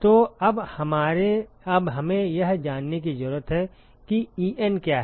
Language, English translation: Hindi, So now we need to know what is hi